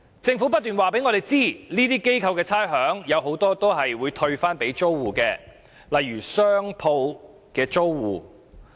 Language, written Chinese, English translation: Cantonese, 政府不斷告訴我們，這些機構獲豁免的差餉，很多會退回給租戶，例如商鋪租戶。, The Government keeps telling us that the amounts of rates concession received by these consortiums will be rebated to their tenants such as shop tenants